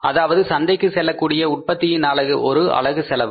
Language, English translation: Tamil, Per unit cost of for that production which will go to the market